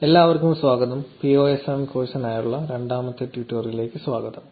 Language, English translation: Malayalam, Hi everyone, welcome to the second tutorial for the PSOSM course